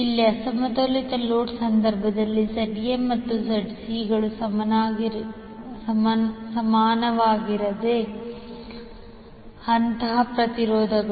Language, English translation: Kannada, Here in case of unbalanced load ZA, ZB, ZC are the phase impedances which are not equal